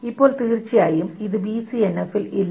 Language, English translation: Malayalam, Now, of course, this is not in BCNF